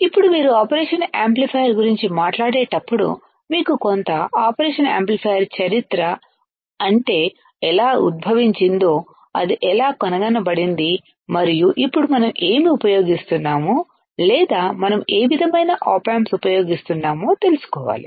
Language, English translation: Telugu, Now, when you talk about operation amplifier you should know little bit history of operational amplifier how it was emerged, and how it was invented and now what we are using or what kind of op amps we are using all right